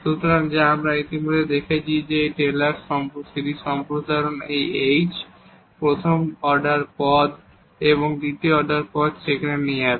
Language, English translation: Bengali, So, which we have already seen that the Taylor series expansion of this will lead to this h, the first order terms and then the second order terms there